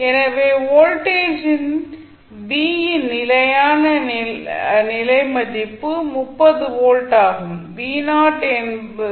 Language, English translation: Tamil, So, you got v at steady state value of voltage v is 30 volts